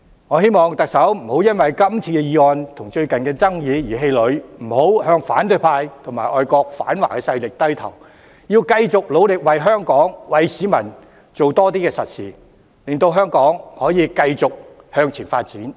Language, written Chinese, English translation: Cantonese, 我希望特首不要因今次的議案和最近的爭議而氣餒，不要向反對派和外國反華勢力低頭，要繼續努力為香港和市民多做實事，令香港繼續向前發展。, I hope the Chief Executive will not be disheartened by this motion and the recent controversy . Instead of succumbing to the opposition camp and anti - China foreign forces she should keep going and do more solid work for Hong Kong and members of the public thereby enabling Hong Kong to keep progressing